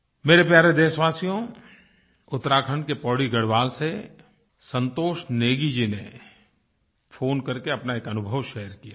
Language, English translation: Hindi, My dear countrymen, Santosh Negi from Pauri Garhwal in Uttarakhand, has called up to relate one of his experiences